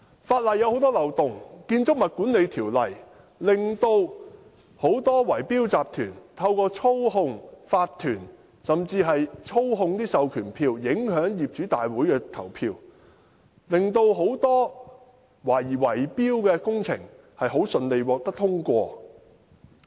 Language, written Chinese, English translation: Cantonese, 法例存在很多漏洞，《建築物管理條例》讓很多圍標集團可透過操控法團，甚至操控授權書，影響業主大會的投票，令很多懷疑是圍標的工程得以順利通過。, There are many loopholes in the existing law . The Building Management Ordinance BMO allows many bid - rigging syndicates to influence the votes in general meetings of property owners through manipulating OCs and even proxy instruments thus facilitating the smooth passage of many projects suspected of involving bid - rigging